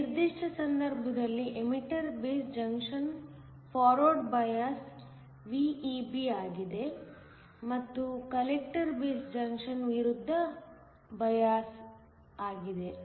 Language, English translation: Kannada, In this particular case, the emitter base junction is forward biased VEB, and the collector based junction is reversed bias